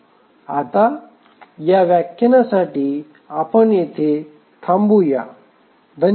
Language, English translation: Marathi, Now for this lecture we will stop here